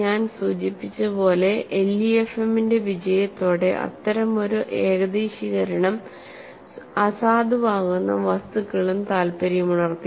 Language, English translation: Malayalam, And as I mention with the success of LEFM, materials for which such as approximation would be invalid also became of interest